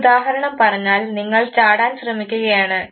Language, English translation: Malayalam, Say for example, if you are say trying to jump for instance